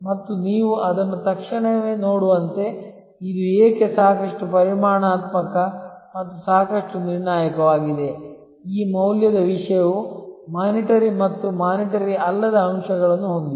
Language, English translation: Kannada, And as you can immediately see that, why this is quite quantitative and quite deterministic, this cost aspect that this value thing has both monitory and non monitory aspects